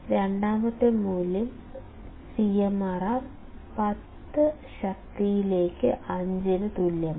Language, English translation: Malayalam, Second value is given as CMRR equals to 10 raised to 5